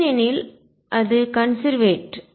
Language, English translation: Tamil, Because it is conserved